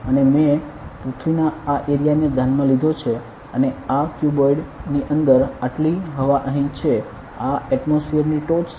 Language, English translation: Gujarati, And I have considered this area of earth and this much air is over here inside this cuboid this is the top of the atmosphere